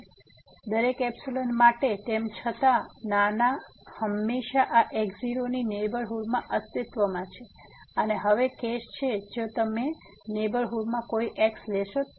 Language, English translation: Gujarati, So, for every epsilon, however small, there always exist in neighborhood of this naught which is the case here and now, if you take any in this neighborhood